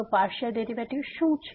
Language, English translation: Gujarati, So, what is Partial Derivative